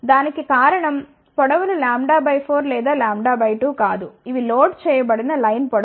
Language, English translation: Telugu, The reason for that is the lengths are not lambda by 4 or lambda by 2 these are loaded line lengths ok